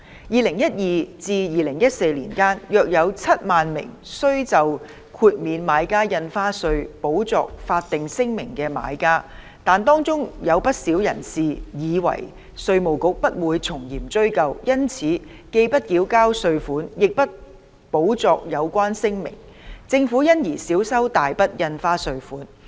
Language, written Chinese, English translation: Cantonese, 2012至2014年間，約有7萬名須就豁免買家印花稅補作法定聲明的買家，但當中有不少人士以為稅務局不會從嚴追究，因此既不繳交稅款，亦不補作有關聲明，政府因而少收大筆印花稅稅款。, During the period from 2012 to 2014 while about 70 000 buyers were required to make statutory declarations retrospectively in relation to exemptions from the Buyers Stamp Duty quite a number of them believing that the Inland Revenue Department would not seriously pursue their responsibilities neither paid the stamp duty nor made the relevant declarations retrospectively . As a result the Government has foregone a significant amount of stamp duty payments